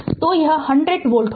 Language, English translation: Hindi, So, it will be 100 volt right